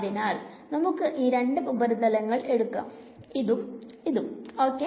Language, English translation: Malayalam, For example let us take the surfaces this one and this one ok